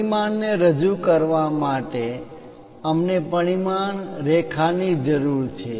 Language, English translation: Gujarati, To represent dimension, we require a dimension line